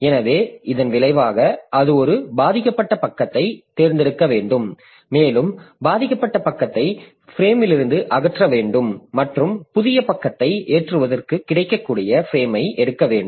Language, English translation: Tamil, So, as a result, it has to select a victim page and that victim page has to be removed from the frame and the frame made available for the new page to be loaded